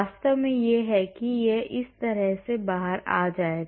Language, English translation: Hindi, Actually this is it will come out like that